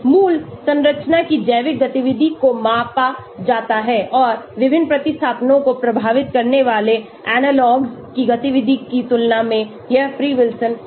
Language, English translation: Hindi, The biological activity of the parent structure is measured and compared to the activity of analogues bearing different substitutions, that is free Wilson